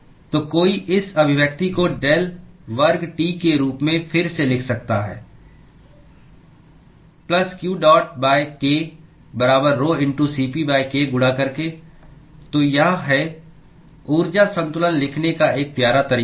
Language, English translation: Hindi, So one could rewrite this expression as del square T, plus q dot divided by k equal to rho*Cp divided by k into